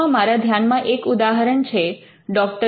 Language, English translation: Gujarati, In India this is an example that I am aware of Dr